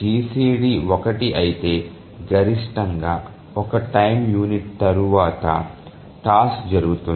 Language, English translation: Telugu, So if the GCD is one then then at most after one time unit the task can occur